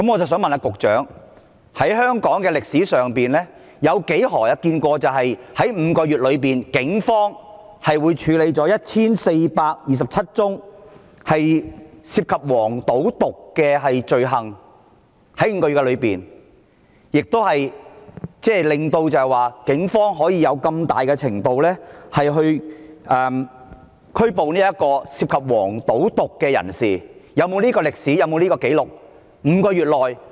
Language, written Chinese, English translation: Cantonese, 我想問局長，在香港的歷史上，何時見過警方在5個月內處理了1429宗涉及"黃、賭、毒"的罪行，令警方能夠如此大規模地拘捕涉及"黃、賭、毒"的人士，是否有這種歷史、這項紀錄呢？, May I ask the Secretary throughout the history of Hong Kong when he has seen the Police process 1 429 criminal cases associated with vice gambling and narcotics in five months thereby rendering it possible for the Police to arrest persons involved in cases associated with vice gambling and narcotics on such a large scale? . Has this ever happened in history? . Is there such a record?